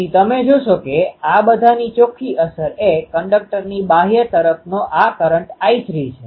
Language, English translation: Gujarati, So, you see that net effect of all these is this flow of I 3 to the outer of the conductor